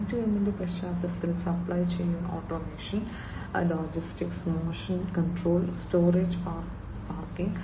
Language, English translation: Malayalam, In the context of M2M, supply chain automation, logistics, motion control, storage and parking and so on